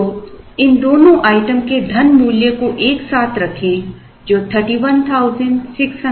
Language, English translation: Hindi, So, put together the money value of both these items comes out to 31,612